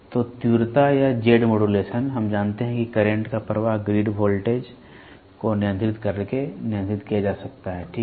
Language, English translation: Hindi, So, intensity or Z modulation; we know that the flow of current can control can be controlled by controlling the grid voltage, ok